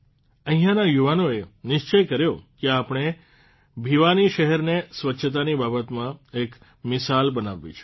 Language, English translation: Gujarati, The youth here decided that Bhiwani city has to be made exemplary in terms of cleanliness